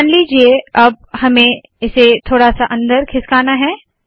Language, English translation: Hindi, Now suppose I want to push this a little inside